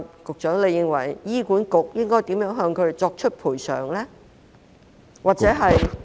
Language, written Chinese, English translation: Cantonese, 局長，你認為醫管局應如何向她們作出賠償？, Secretary what do you think HA should do to compensate them?